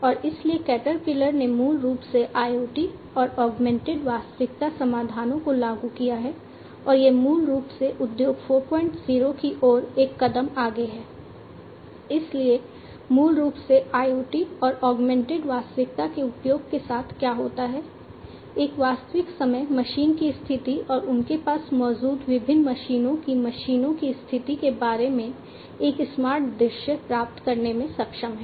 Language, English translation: Hindi, So, basically what happens is with the use of IoT and augmented reality, one is able to get a smart view about the real time machine status and the condition of the machines of the different machines that they have